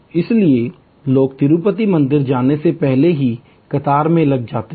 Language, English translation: Hindi, So, people even before they get to the Tirupati temple, they are in the queue complex